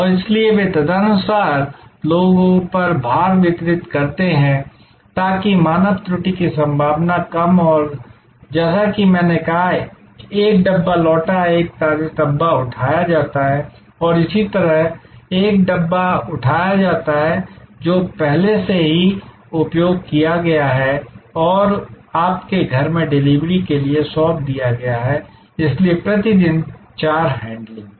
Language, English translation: Hindi, And therefore, they distribute the load on people accordingly, so that there is less chance of human error and as I said, there are one Dabba is returned, a fresh Dabba is picked up and similarly, one Dabba is picked up, which is already been used and is handed over for the delivery back to your home, so four handlings per day